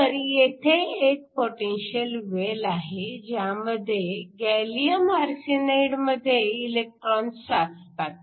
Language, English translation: Marathi, So, we have a potential well, where electrons can accumulate in gallium arsenide